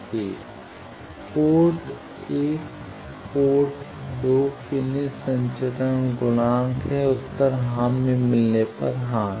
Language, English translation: Hindi, Transmission coefficient from port 1 to port two, the answer is yes if you have met the yes